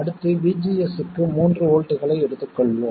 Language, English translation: Tamil, Next let's take VGS equals 3 volts